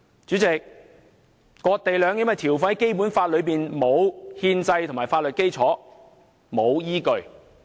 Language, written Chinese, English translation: Cantonese, 主席，割地和兩檢的條款在《基本法》內並沒有憲制和法律基礎，也沒有依據。, President the provisions pertaining to the cession of land and the co - location arrangement in the Basic Law do not have any constitutional or legal basis nor are they substantiated